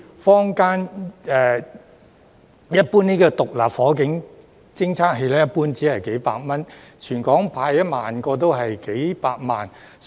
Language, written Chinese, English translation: Cantonese, 坊間的獨立火警偵測器一般只需數百元，全港派發1萬個只需數百萬元。, SFDs available in the market usually cost just several hundred dollars so it only costs a few million dollars to distribute 10 000 SFDs across the territory